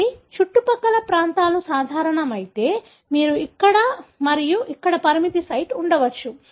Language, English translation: Telugu, So, if the flanking regions are common, you may have a restriction site here and here